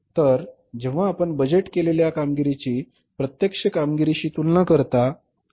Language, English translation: Marathi, So, when you compare the budgeted performance with the actual performance, right, you find out the difference